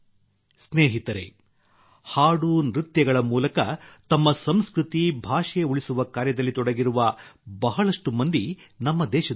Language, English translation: Kannada, Friends, there are many people in our country who are engaged in preserving their culture and language through songs and dances